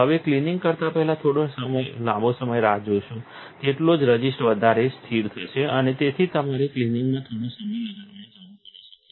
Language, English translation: Gujarati, The longer you wait before you clean, the more fixated the resist will come and therefore, you may need to use a little bit of time on the cleaning